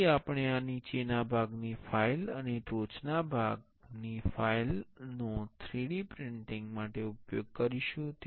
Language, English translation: Gujarati, So, we will be using this bottom part file and the top part file for 3D printing